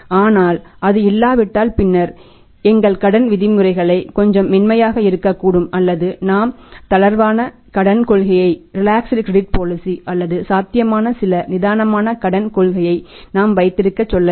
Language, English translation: Tamil, But if it is not there then yes then we will have to think about that our credit terms can be little lenient or say we can have the loose Credit Policy or we can say some relaxed Credit Policy that can be possible